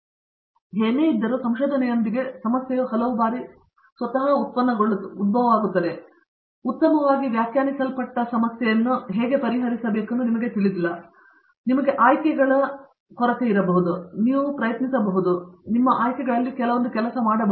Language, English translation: Kannada, Whereas, with research many times the problem itself is not well defined and you donÕt know how to actually solve the problem, you have handful of options hopefully, that you can try and perhaps one of them will work out